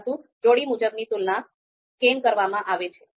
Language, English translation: Gujarati, So why pairwise comparisons are used